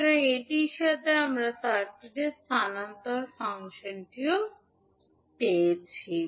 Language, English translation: Bengali, So, with this we get the transfer function of this circuit